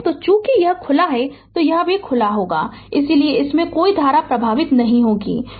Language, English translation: Hindi, So, as as this is open, this is also open, so no current flowing through this